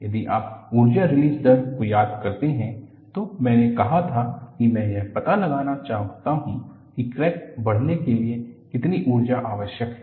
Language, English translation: Hindi, If you recall in the energy release rate, I said I want to find out, what is the energy required for the crack to grow